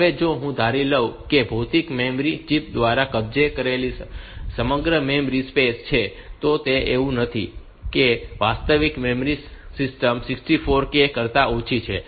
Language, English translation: Gujarati, Now if I assume that this we have got entire memory space occupied by physical memory chips, that is it is not that the actual memory system has got less than 64 k